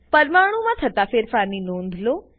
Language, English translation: Gujarati, Observe the change in the atoms